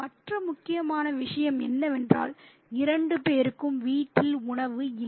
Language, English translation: Tamil, And the other important thing is there is no food at home for the two people